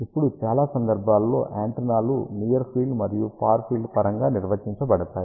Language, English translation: Telugu, Now, most of the time antennas are defined in terms of near field and far field